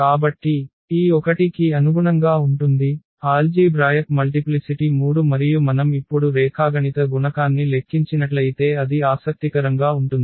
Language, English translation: Telugu, So, corresponding to this 1 so; algebraic multiplicity is 3 and if we compute the geometric multiplicity now that is interesting